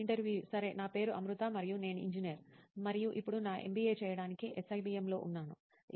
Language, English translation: Telugu, Okay, my name is Amruta and I am an engineer and now I am here in SIBM to do my MBA